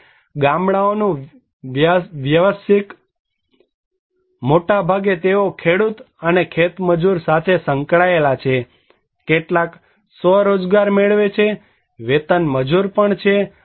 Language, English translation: Gujarati, Now, occupational distribution of villages; they are mostly involved as a cultivator and agricultural labour, some are self employed, wage labourer are also there